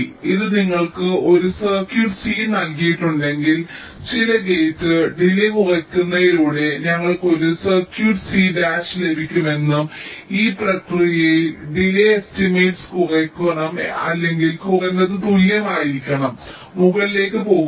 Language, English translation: Malayalam, this says that if you are given a circuit c, then we can get an circuit c dash by reducing some gate delays and in the process the delay estimate should also be reduced, or at least be equal, not go up